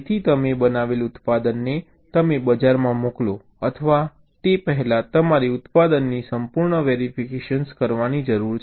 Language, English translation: Gujarati, so before you can send or ship a product you have fabricated to the market, you need to thoroughly test the product